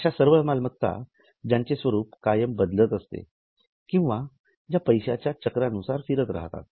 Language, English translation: Marathi, All those assets which are getting converted or which are moving in money cycle